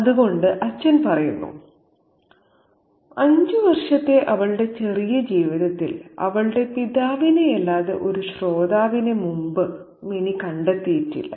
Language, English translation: Malayalam, So, the father says in her short five year life, Minnie had never found a more intent listener before other than her father